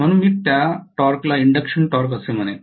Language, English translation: Marathi, So I would call that torque as induction torque